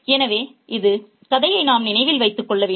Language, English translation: Tamil, So, this is something we need to keep in mind